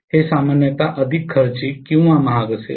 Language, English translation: Marathi, This will be generally more costly or costlier